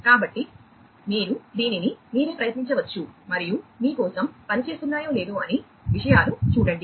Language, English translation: Telugu, So, you can try it out yourselves, and see whether things are working for you or, not